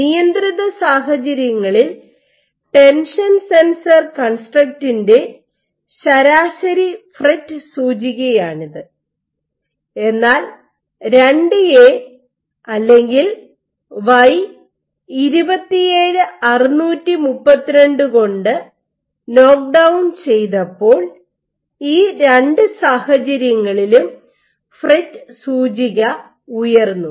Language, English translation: Malayalam, If this was the average FRET index when you have the tension sensor construct on the control conditions when they knocked down IIA or Y27632, in both these cases the FRET index went up